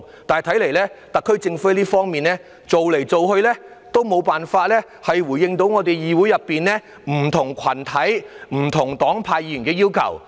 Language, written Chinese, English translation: Cantonese, 但看來特區政府在這方面反反覆覆，總無法回應議會內不同群體、不同黨派議員的要求。, The Government however seems to have failed to address the demands from different groups and parties within the Council despite repeated attempts to do so